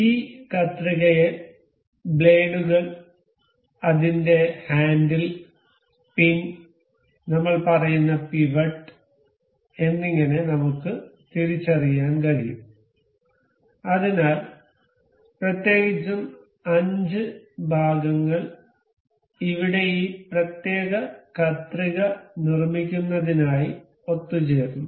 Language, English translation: Malayalam, We can identify this scissor as blades, its handle, the pin, the pivot we say and so, the the there are particular there are particularly 5 parts we can see over here, that have been assembled to make this particular scissor